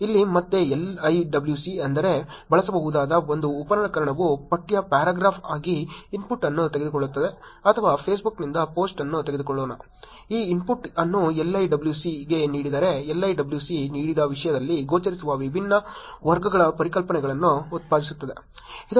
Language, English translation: Kannada, Here LIWC which is again, a tool, which could be used, takes input as text paragraph let us assume or a post from Facebook, given this input to LIWC, LIWC will produce different categories of concepts that are appearing in the content that was given to the LIWC